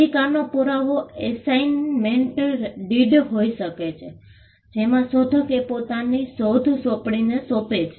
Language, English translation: Gujarati, The proof of right can be an assignment deed, wherein, the inventor assigns the invention to the assignee